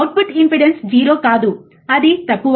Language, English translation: Telugu, But in true the output impedance is not 0, it is low